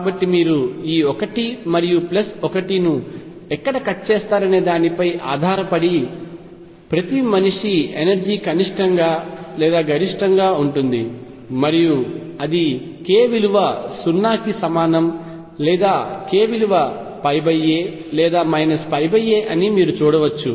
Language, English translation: Telugu, So, you can see for each man energy is either minimum or maximum depending on where this cuts this 1 and plus 1 and you will find that this is either k equals 0 or k equals pi by a or minus pi by a